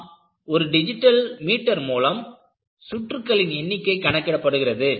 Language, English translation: Tamil, And, you have a digital meter, which records the number of cycles